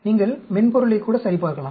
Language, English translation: Tamil, You can even crosscheck the softwares